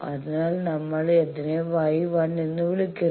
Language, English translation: Malayalam, So, that we are calling that Y 1